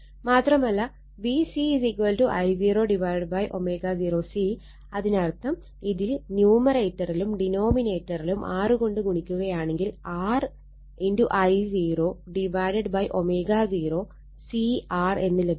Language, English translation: Malayalam, So, also V C is equal to I 0 upon omega 0 C, so this means it is R I 0 by numerator and denominator you multiply by R, R I 0 upon omega 0 C R, so that means, V C is equal to Q V right